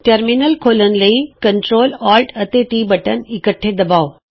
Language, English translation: Punjabi, To open a Terminal press the CTRL and ALT and T keys together